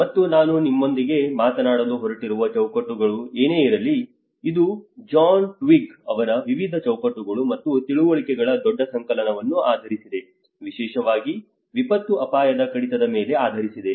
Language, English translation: Kannada, And whatever the frameworks which I am going to talk to you about, it is based on a huge compilation of various frameworks and understandings by John Twigg, especially on the disaster risk reduction